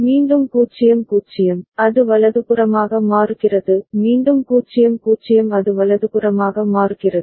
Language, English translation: Tamil, Again 0 0, it is changing right; again 0 0 it is changing right